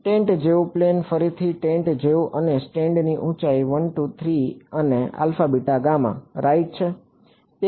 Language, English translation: Gujarati, A plane like a like a tent again like a tent and the height of the stand at 1 2 and 3 is alpha beta gamma right